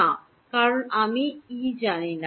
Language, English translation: Bengali, No because I do not know E